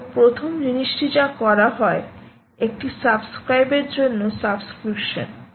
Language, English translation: Bengali, so the first thing is to do a subscription on the for the subscribe